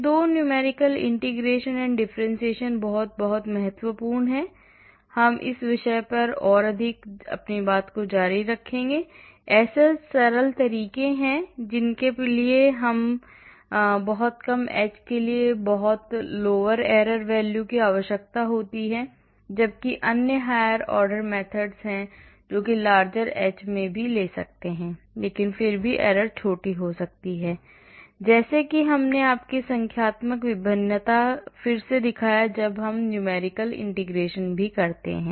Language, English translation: Hindi, So, these 2 numerical integration and differentiation are very important and we will continue more on this topic and there are simple methods which require very small h to have very considerably low error value; whereas there are other higher order methods which can also take in larger h but still the errors can be smaller, like I showed you in the numerical differentiation here again when we do numerical integration also